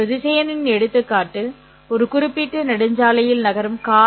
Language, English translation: Tamil, An example of a vector would be the car moving along a particular highway because it has both magnitude